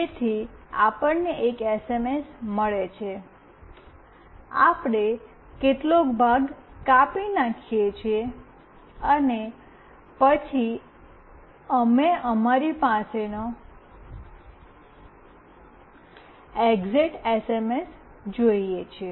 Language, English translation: Gujarati, So, we receive an SMS, we cut out some portion, and then we see the exact SMS with us